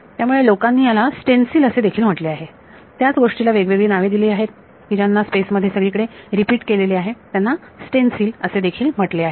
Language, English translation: Marathi, So, people also called this a stencil, various names for the same thing, which I repeated everywhere in space as well as it is called stencil